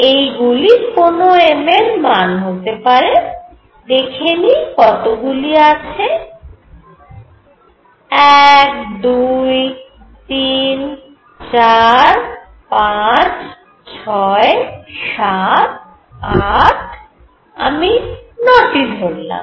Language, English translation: Bengali, So, this could be some m value let us see how many are there 1, 2, 3, 4, 5, 6, 7, 8 let me make 9